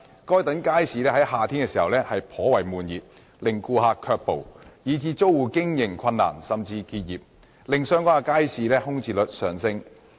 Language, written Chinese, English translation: Cantonese, 該等街市在夏天時頗為悶熱，令顧客卻步，以致租戶經營困難甚至需結業，令相關街市的空置率上升。, Those markets are hot and stuffy during summer which turns away customers . As a result the tenants have difficulties in doing businesses or even have to close down their businesses causing a rise in the vacancy rates of the markets concerned